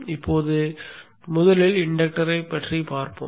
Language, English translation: Tamil, Now let us look at the inductor first